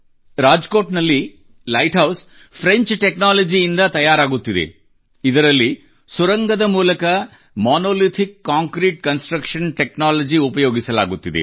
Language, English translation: Kannada, In Rajkot, the Light House is being made with French Technology in which through a tunnel Monolithic Concrete construction technology is being used